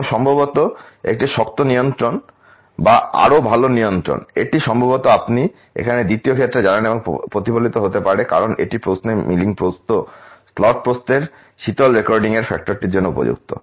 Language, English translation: Bengali, And obviously, a tighter control or better control can be reflect it you know in probably second case here because it is accommodating for that factor of post cooling recording of the milling width slot width into question